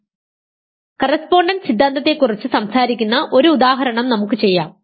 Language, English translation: Malayalam, So, actually let us just do one example which talks about correspondence theorem